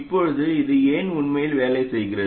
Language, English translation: Tamil, Now why does this really work